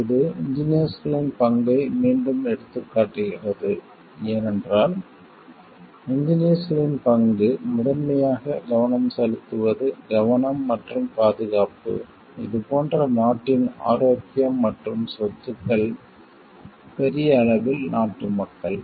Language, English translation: Tamil, This is where again it highlights the role of the engineers, because if you remember the in the primary focus of the role of engineers is the safety and security and the health and property of the like the country at of the people of the country at large